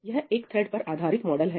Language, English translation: Hindi, It is a thread based model